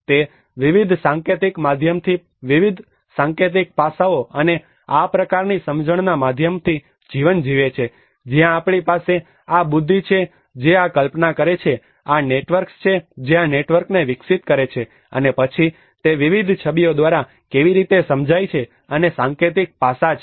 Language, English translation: Gujarati, It is lived through various associations through schemata through also measures through various symbolic aspects and this kind of understanding where we have the intellect which conceives this, the instincts which develops this networks and then the intuitions, how it is understood through various images and the symbolic aspects